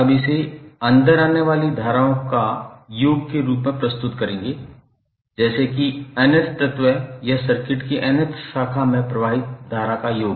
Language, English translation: Hindi, You will represent it like summation of in that is current flowing into nth element is nth basically we will say nth branch of the circuit